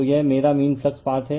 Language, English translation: Hindi, So, this is my mean flux path